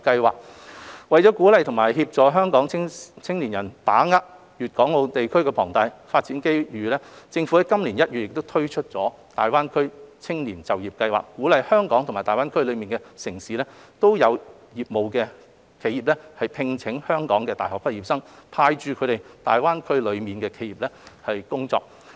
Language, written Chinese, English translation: Cantonese, 為鼓勵及協助香港青年人把握粵港澳大灣區龐大的發展機遇，政府於今年1月推出大灣區青年就業計劃，鼓勵在香港及大灣區內地城市均有業務的企業，聘請香港的大學畢業生，派駐他們到大灣區內的企業工作。, To encourage and assist Hong Kong young people to grasp the great development opportunities in GBA the Government launched the Greater Bay Area Youth Employment Scheme in January this year to encourage those enterprises with operations in both Hong Kong and GBA cities in the Mainland to employ university graduates from Hong Kong and send them to work in their offices in GBA